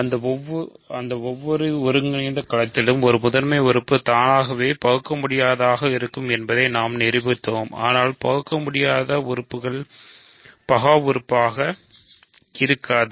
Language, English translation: Tamil, We proved that in any integral domain, a prime element is irreducible that is automatically true, but irreducible elements may not be prime